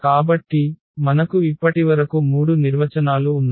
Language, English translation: Telugu, So, we have already 3 definitions so far